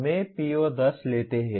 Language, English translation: Hindi, Let us take PO10